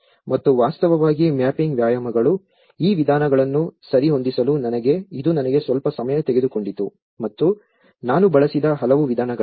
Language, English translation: Kannada, And also the mapping exercises in fact, this to tailor these methods it took me some time and there are many methods which I have used